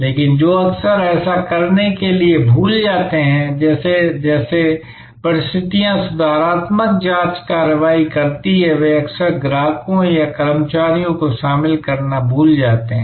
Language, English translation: Hindi, But, what organizations often forget to do that as situations evolve as they take corrective calibrating actions, they often forget to keep the customers or the employees involved